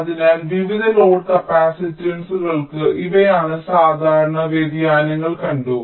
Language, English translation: Malayalam, ok, so for the variance, load capacitance is, these are the typical variations that have been seen